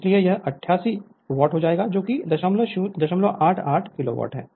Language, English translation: Hindi, So, it will become 88 watt that is 0